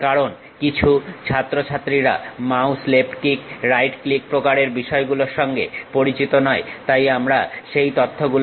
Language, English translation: Bengali, ah Because uh some of the students are not pretty familiar with this mouse left click, right click kind of thing, so we are going to recap those information